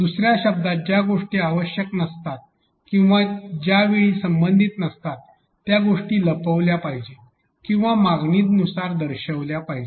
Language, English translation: Marathi, In other words things which are not necessary or non relevant at that point in time should be either hidden or shown on demand